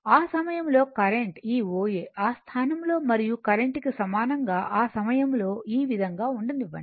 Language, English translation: Telugu, And at that time the current this O A, let O A is equal to at that time current a position was this time, right